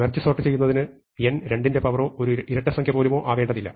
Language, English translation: Malayalam, Now, it turns out that merge sort does not in any way require n to be a power of 2, not even an even number